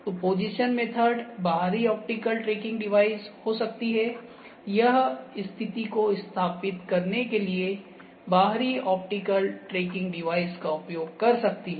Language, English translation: Hindi, So, position method can be external optical tracking device, this can use an external optical tracking device to establish positioning